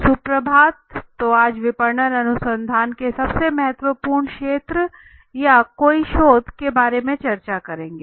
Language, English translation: Hindi, Good morning everyone so today you can say most important areas of marketing research or for that any research right